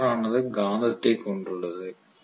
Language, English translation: Tamil, The rotor has basically the magnet